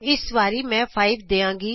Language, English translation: Punjabi, I will give 5 this time